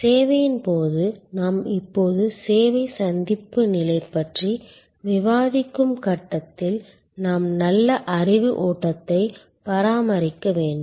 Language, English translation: Tamil, And during the service, the stage that we are now discussing service encounter stage, we need to maintain a good level of knowledge flow